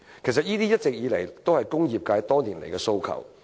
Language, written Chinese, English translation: Cantonese, 其實，這是工業界多年來一直提出的訴求。, In fact it is the aspiration voiced by the industrial sector over the years